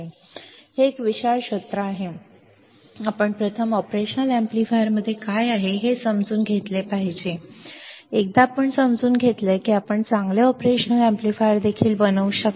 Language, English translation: Marathi, So, this field is vast, you can first you should understand what is within the operational amplifier, once you understand you can make better operational amplifier as well